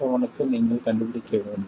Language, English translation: Tamil, 7 you would have to do it for 6